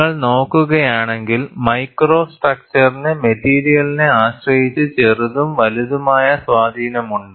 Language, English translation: Malayalam, And if you look at, the micro structure has small to large influence depending on the material